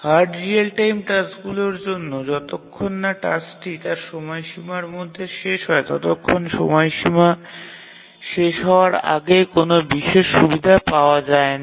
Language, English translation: Bengali, For hard real time tasks, as long as the task completes within its deadline, there is no special advantage in completing it any earlier than the deadline